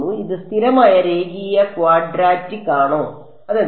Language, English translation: Malayalam, Is it constant linear quadratic what is it